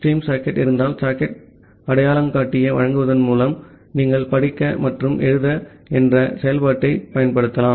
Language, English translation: Tamil, In case of a stream socket, you can use the function called read and write by providing the socket identifier